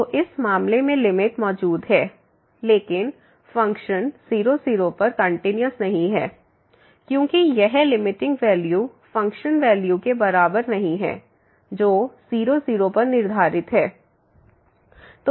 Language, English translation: Hindi, So, the limit exist in this case, but the function is not continuous at , because this limiting value is not equal to the function value which is prescribed at